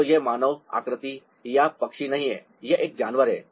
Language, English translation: Hindi, so this is not a human figure or bird, this is an animal